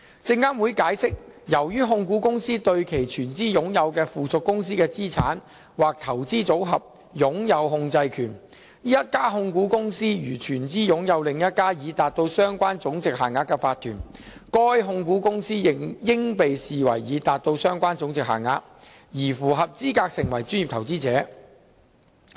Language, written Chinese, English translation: Cantonese, 證監會解釋，由於控股公司對其全資擁有的附屬公司的資產或投資組合擁有控制權，一家控股公司如全資擁有另一家已達到相關總值限額的法團，該控股公司應被視為已達到相關總值限額，而符合資格成為專業投資者。, SFC has explained that as a holding company has control over the assets or portfolios held by a wholly - owned subsidiary a holding company which wholly owns another corporation meeting the relevant monetary threshold should also be regarded as having met the relevant monetary threshold to qualify as a professional investor